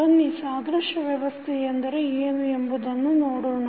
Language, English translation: Kannada, Let us see what does analogous system means